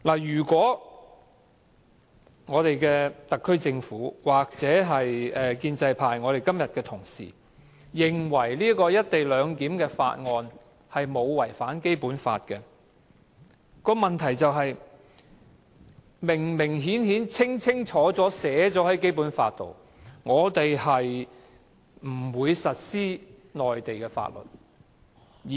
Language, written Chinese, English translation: Cantonese, 即使特區政府或建制派同事今天認為這項關乎"一地兩檢"的《條例草案》沒有違反《基本法》，但《基本法》其實清楚明確地註明香港不會實施內地法律。, Even if the SAR Government or the pro - establishment Members do not consider this Bill as contravening the Basic Law today the Basic Law is clear and unequivocal in stating that Hong Kong shall not apply the Mainland laws